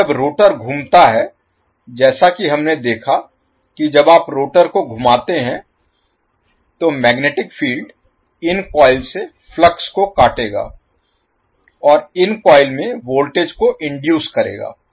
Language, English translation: Hindi, Now, when the rotor rotates, as we saw that when you rotate the rotor the magnetic field will cut the flux from these coils and the voltage will be inducing these coils